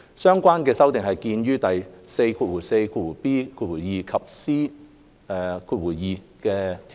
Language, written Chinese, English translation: Cantonese, 相關修訂見於第 44b 及 c 條。, Please see clause 44bii and cii for the relevant amendments